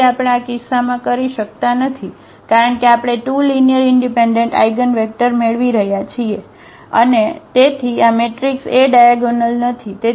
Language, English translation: Gujarati, So, we cannot do in this case because we are getting 2 linearly independent eigenvectors and therefore, this matrix A is not diagonalizable